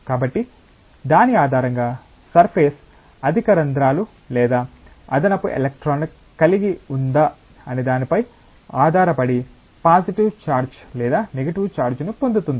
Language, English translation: Telugu, So, based on that the surface will either acquire a positive charge or a negative charge depending on whether it will have excess holes or excess electrons